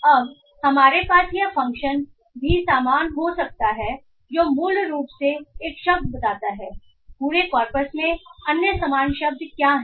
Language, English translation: Hindi, Now we can also have this function most similar which basically tells given a word what are the other similar words in the ender corpus